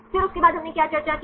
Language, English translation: Hindi, Then what did we discussed after that